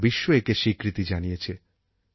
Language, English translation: Bengali, The world has accepted this